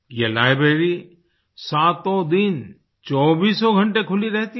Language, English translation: Hindi, This library is open all seven days, 24 hours